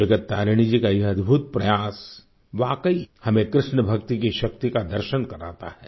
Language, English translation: Hindi, Indeed, this matchless endeavour on part of Jagat Tarini ji brings to the fore the power of KrishnaBhakti